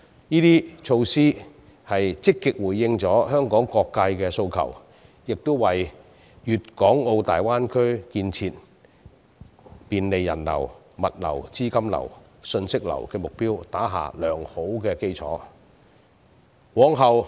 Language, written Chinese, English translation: Cantonese, 這些措施均積極回應了香港各界的訴求，亦為大灣區的建設，以及便利人流、物流、資金流、信息流的目標打下良好基礎。, The introduction of such measures has responded actively to the aspirations of various sectors of the Hong Kong community . They have also laid a good foundation for the development of the Greater Bay Area to facilitate the flow of people goods capital and information